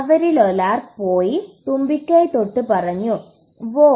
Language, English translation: Malayalam, One of them went and touched the trunk and said, Woah